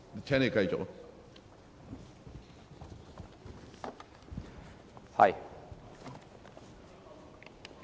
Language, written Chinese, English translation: Cantonese, 請你繼續發言。, Please continue with your speech